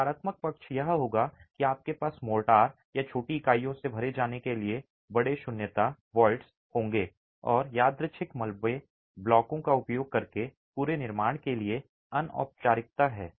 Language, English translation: Hindi, The downside would be that you would have large voids to be filled up with mortar or smaller units and there is an informality to the entire construction using random rubble blocks